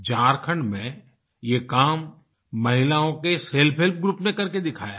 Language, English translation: Hindi, A self help group of women in Jharkhand have accomplished this feat